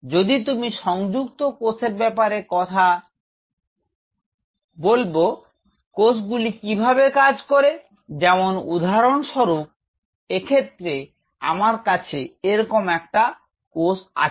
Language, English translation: Bengali, If you are talking about adhering cells, the cells the way it works is something like this say for example, I have a cell like this